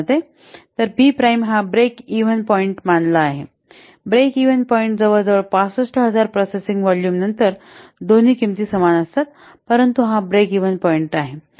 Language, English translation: Marathi, So, B prime becomes the what the break even point you can see near about to 65,000 processing volume the both the cost equal